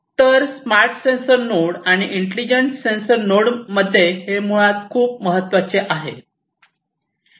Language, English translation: Marathi, So, this is basically very important in a smart sensor node and intelligent sensor nodes